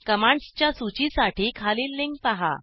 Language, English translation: Marathi, Refer the following link for list of commands